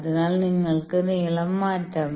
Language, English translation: Malayalam, So, you can change the lengths